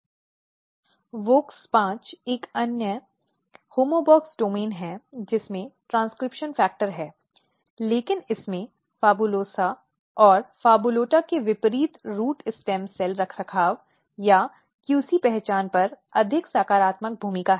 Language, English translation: Hindi, So, this WOX5; WOX5 is another homeobox domain containing transcription factor, but it has more positive role on the stem cell, root stem cell maintenance or QC identity unlike the PHABULOSA and PHABULOTA